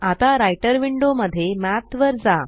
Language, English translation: Marathi, Now, in the Writer window, let us call Math